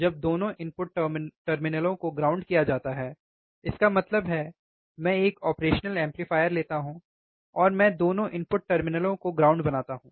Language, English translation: Hindi, When both the input terminals are grounded right; that means, I take operational amplifier, and I ground both the input terminals